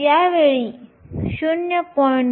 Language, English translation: Marathi, So, this time 0